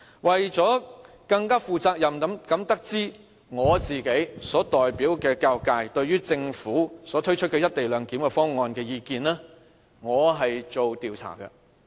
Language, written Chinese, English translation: Cantonese, 為了更負責任的得知我所代表的教育界對於政府推出"一地兩檢"方案的意見，我曾進行調查。, To responsibly understand how the education functional constituency which I represent thinks about the Governments co - location proposal I have conducted a members opinion survey to collect their view